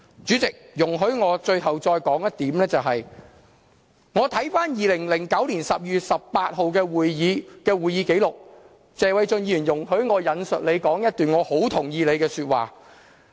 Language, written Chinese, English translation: Cantonese, 主席，容許我最後再說一點，就是我看回2009年12月18日的會議紀錄，容許我引述謝偉俊議員的一段發言，我很同意他那段話。, President please allow me to raise the last point . As I reviewed the minutes of meeting on 18 December 2009 I found Mr Paul TSEs remark sensible . Please allow me to quote what he had said that day